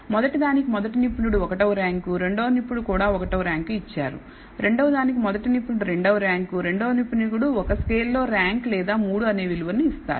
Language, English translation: Telugu, For the first the expert number 1 gives it a rank of 1 and expert 2 also ranks it 1 for the second one the expert 1 ranks it 2 while the expert 2 ranks it in a scale or gives it the value of 3 and so on so forth for the 7 different types of thing